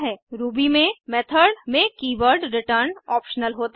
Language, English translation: Hindi, The keyword return in method is optional in Ruby